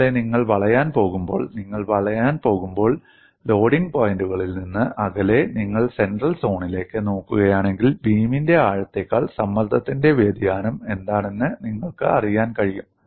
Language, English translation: Malayalam, Similarly, when you go for bending, away from the points of loading, if you look at the central zone, you will be in a position to get what is the variation of stress over the depth of the beam